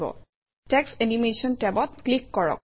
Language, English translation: Assamese, Click on the Text Animation tab